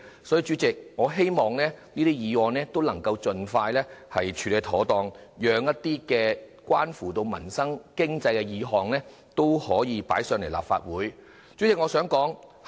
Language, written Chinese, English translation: Cantonese, 所以，主席，我希望這些議案均能盡快獲得處理，讓其他關乎民生經濟的議案得以提交立法會審議。, Hence President I hope these motions can be processed as soon as possible so that other motions concerning peoples livelihood can be submitted to the Legislative Council for examination